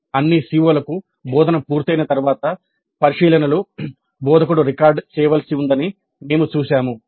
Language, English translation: Telugu, We have seen that observations after the completion of instruction for all the COs the instructor has to record